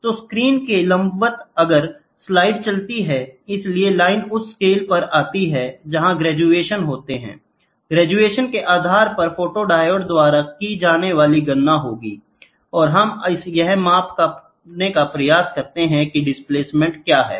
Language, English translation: Hindi, So, perpendicular to the to the screen, right, perpendicular to the screen if the slide keeps moving; so, the line falls on the scale where there is graduation and based upon the graduations there will be a counting done by the photodiode and we try to measure what is the displacement